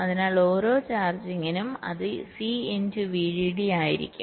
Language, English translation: Malayalam, so for every charging it will be c into v